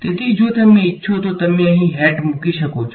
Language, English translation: Gujarati, So, if you want you can put a hat over here